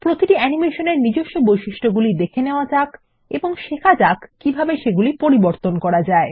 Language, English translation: Bengali, Lets look at the default properties for each animation and learn how to modify them